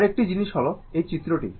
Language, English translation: Bengali, Another thing is that this diagram